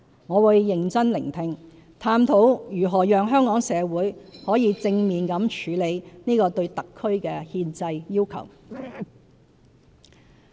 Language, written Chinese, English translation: Cantonese, 我會認真聆聽，探討如何讓香港社會可以正面地處理這個對特區的憲制要求。, I will listen to these views earnestly and explore ways to enable Hong Kong society to respond positively to this constitutional requirement on HKSAR